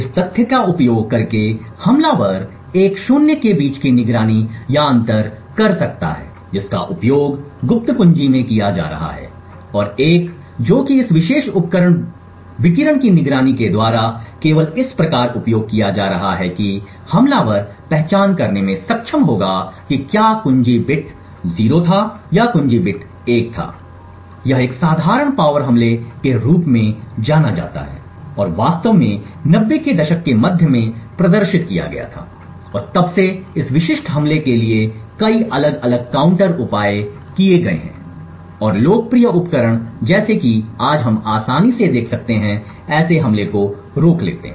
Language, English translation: Hindi, By using this fact the attacker could monitor or distinguish between a zero that has being used in the secret key and a one that is being used thus by just by monitoring this particular device radiation an attacker would be able to identify whether a key bit was 0 or a key bit is 1 this is known as a simple power attack and was actually demonstrated in the mid 90’s and since then there have been a lot of different counter measures for this specific attack and also popular devices like the ones we see today can easily prevent such an attack